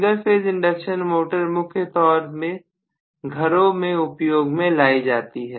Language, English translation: Hindi, The single phase induction motor is the most used in this drive at home